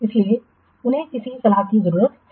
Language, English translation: Hindi, It needs advice